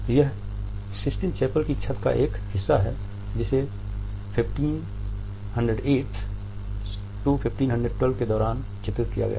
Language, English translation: Hindi, It is a part of the Sistine Chapels ceiling, which was painted during 1508 1512